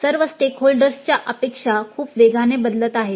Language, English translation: Marathi, The expectations from all the stakeholders are changing very rapidly